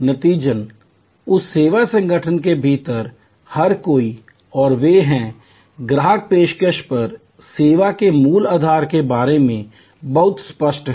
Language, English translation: Hindi, As a result, everybody within that service organization and they are, customers are very clear about the basic premise of the service on offer